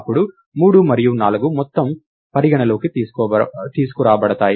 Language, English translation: Telugu, Then 3 and 4 are brought into the ah